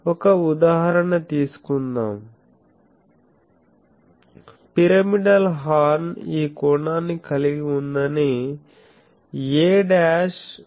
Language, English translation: Telugu, So, let us take an example that a pyramidal horn has this dimension a dashed is 5